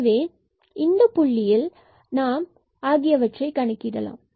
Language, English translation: Tamil, So, at this 0 0 point, we will compute rs and t